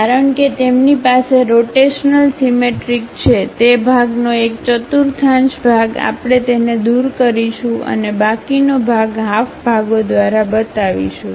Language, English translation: Gujarati, Because, they have rotationally symmetric thing, some one quarter of that portion we will remove it and show the remaining part by half sections